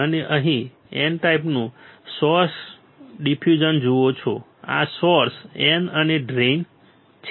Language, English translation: Gujarati, You see here source N type diffusion right this is the source N and drain